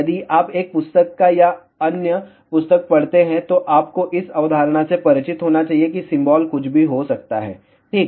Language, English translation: Hindi, If you read one book or other book, you should be familiar with the concept symbol can be anything ok